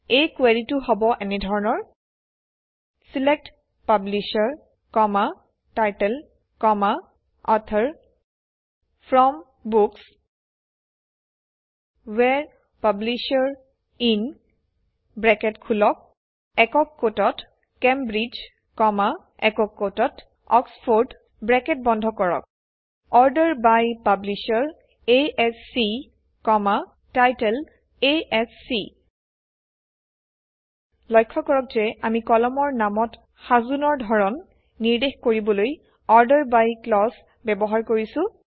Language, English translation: Assamese, And here is the query: SELECT Publisher, Title, Author FROM Books WHERE Publisher IN ( Cambridge, Oxford) ORDER BY Publisher ASC, Title ASC So notice we have used the ORDER BY clause to specify Sorting on column names